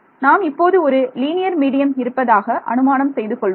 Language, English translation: Tamil, So, I am going to assume a linear medium linear medium means